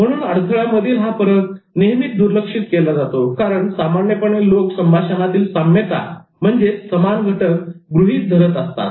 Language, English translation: Marathi, So, difference in barriers are often overlooked because people normally take the commonality in communication for granted